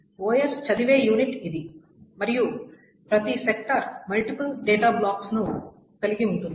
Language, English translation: Telugu, This is the unit by which the OS reads it, and each sector consists of multiple blocks of data